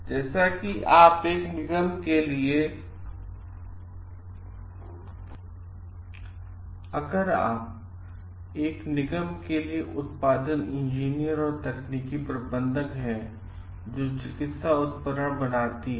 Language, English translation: Hindi, Like, you are the production engineer and technical manager for a corporation, that manufactures medical equipments